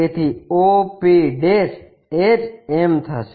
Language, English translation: Gujarati, So, o p' is m